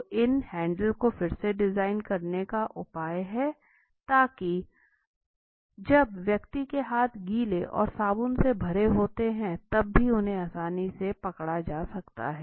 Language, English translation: Hindi, So what is the solution redesign these handles, when the person’s hands are wet and soapy they still can easily be gripped